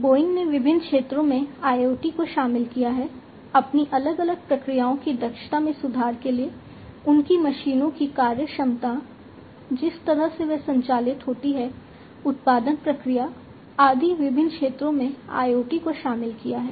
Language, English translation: Hindi, Boeing also has incorporated IoT in different sectors, for improving the efficiency of their different processes, the efficiency of their machines the way they operate, the, the production process, and so on